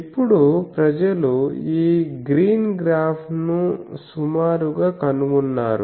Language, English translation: Telugu, Now people have found that more or less this green graph